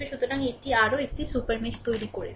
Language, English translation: Bengali, So, this is also creating another super mesh